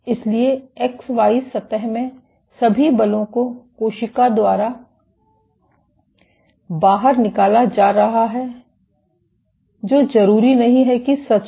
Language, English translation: Hindi, So, all the forces are being exerted by the cell in the X Y plane which is not necessarily true